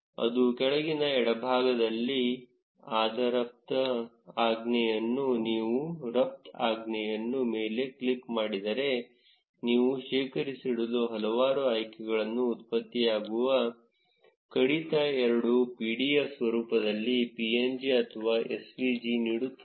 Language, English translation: Kannada, If you click on the export command, it will give you several options to store the generated file in either pdf format, png or svg